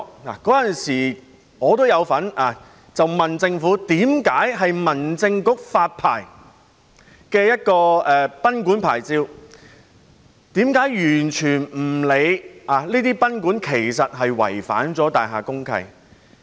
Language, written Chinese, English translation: Cantonese, 我當時也有詢問政府，民政事務局為何會向這些賓館發出牌照，卻完全不理會這些賓館已違反大廈公契？, At that time I asked the Government why the Home Affairs Bureau issued licences to these guesthouses in disregard of the fact that these guesthouses had violated the provisions of the deeds of mutual covenant concerned